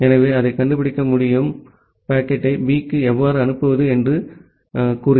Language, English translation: Tamil, So, that it can find out that how to forward the packet to B